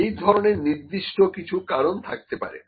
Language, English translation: Bengali, There might be certain reasons like this